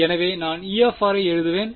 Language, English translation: Tamil, So, I will write E r